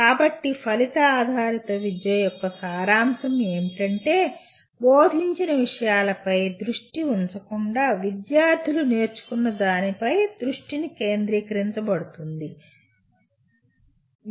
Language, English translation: Telugu, So the essence of outcome based education is, the focus shifts from the material that is taught to what the students have learned